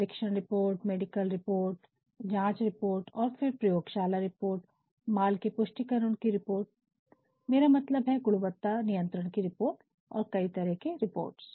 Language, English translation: Hindi, The examination report, the medical report, the investigation report,fine and and then the lab reports, then stock verification report, I mean quality control report, several reports